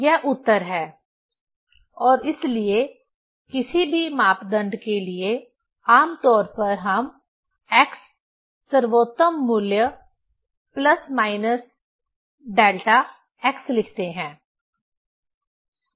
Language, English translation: Hindi, This is the answer and so, for any parameter generally we write x best value plus minus delta x